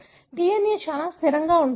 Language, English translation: Telugu, So, the DNA is pretty much static